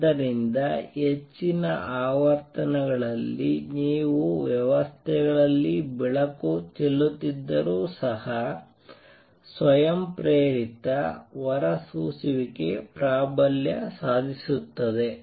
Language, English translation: Kannada, So, at high frequencies even if you are to shine light on systems the spontaneous emission will tend to dominate